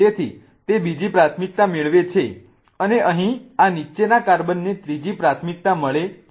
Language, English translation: Gujarati, So, that gets the second priority and this bottom carbon here gets the third priority